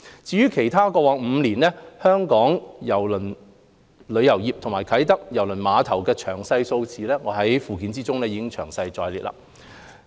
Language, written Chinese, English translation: Cantonese, 至於其他有關過去5年香港郵輪旅遊業及啟德郵輪碼頭的詳細數字，均已列載於附件。, Other detailed figures in relation to the cruise tourism industry in Hong Kong and KTCT in the past five years are summarized at Annex